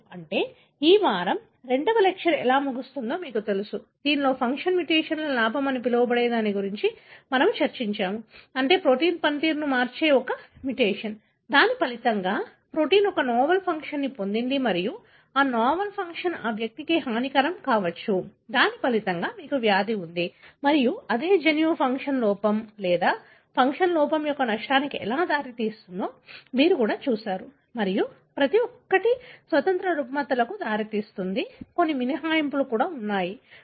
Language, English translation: Telugu, That is, you know kind of brings end to the second lecture of this week, wherein we discussed how the so called gain of function mutations, meaning a mutation changing the function of the protein, as a result that protein has acquired a novel function and that novel function could be harmful to that individual, as a result you have the disease and you also looked into how a same gene results in either a gain of function defect or a loss of function defect and each one can lead to independent disorders and some exceptions and so on